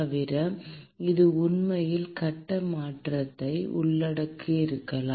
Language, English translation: Tamil, Besides, it might actually involve phase change as well